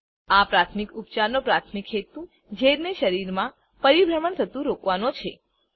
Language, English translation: Gujarati, The primary purpose of this first aid is to stop the poison from circulating throughout the body